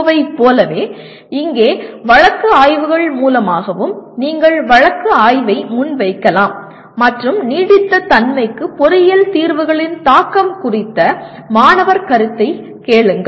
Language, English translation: Tamil, So like the earlier PO, here also through case studies you can present the case study and ask the student to do what do you call ask his perception of the impact of engineering solutions on sustainability